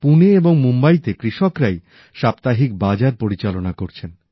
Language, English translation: Bengali, Farmers in Pune and Mumbai are themselves running weekly markets